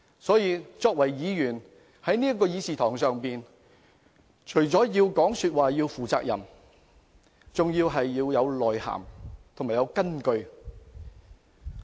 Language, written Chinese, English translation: Cantonese, 所以，作為議員，在這個議事堂上發言，便應要負責任，說話要有內涵和有根有據。, Therefore Members speaking in this Council must bear responsibility for their own words and make sure that there are substance and grounds in their speeches